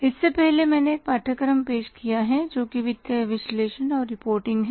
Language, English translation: Hindi, Earlier I have offered a course that is financial analysis and reporting